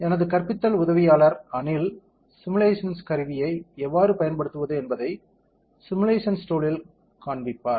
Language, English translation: Tamil, So, here my teaching assistant Anil will show it to you the simulation how to use simulation tool